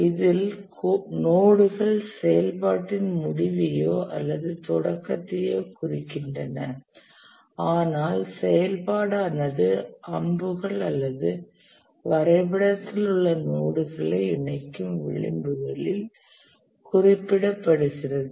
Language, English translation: Tamil, In this, the nodes, they represent end or start of activity, but the activity itself is represented on the arrows or the edges connecting the nodes in the diagram